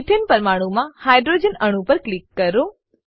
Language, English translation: Gujarati, Click on the hydrogen atom in the ethane molecule